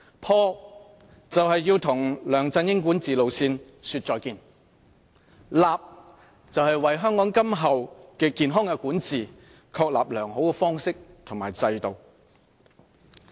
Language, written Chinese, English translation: Cantonese, "破"是要與梁振英管治路線說再見，"立"是為香港今後健康的管治確立良好的方式和制度。, LEUNG Chun - yings governance approach is what should be obliterated and a reliable institutional framework is something that has to be established for healthy governance in the way forward